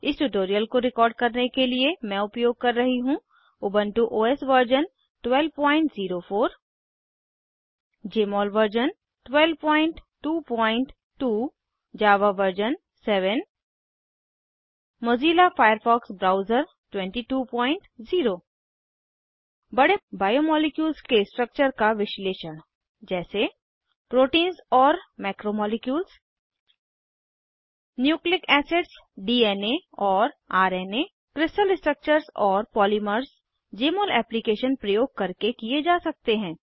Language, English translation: Hindi, 12.04 * Jmol version 12.2.2 * Java version 7 * Mozilla Firefox Browser 22.0 Structure Analysis of large biomolecules such as * Proteins and Macromolecules * Nucleic acids, DNA and RNA * Crystal structures and polymers can be done using Jmol Application